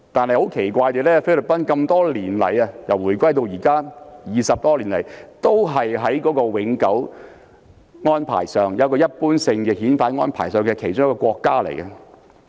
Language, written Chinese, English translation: Cantonese, 然而，奇怪的是由回歸至今20多年來，菲律賓一直是與香港設有一般性遣返安排的其中一個國家。, The judicial system of the Philippines is truly scary but strangely the Philippines is one of the countries which have a general surrender arrangement in place with Hong Kong over the past two decades or so after the handover